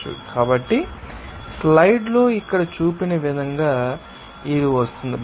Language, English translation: Telugu, So, it will be coming as this as shown here in the slide